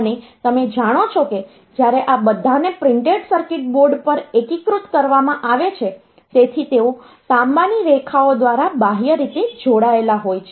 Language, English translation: Gujarati, And you know that when all these are integrated on a printed circuit board, so they are connected externally by means of copper lines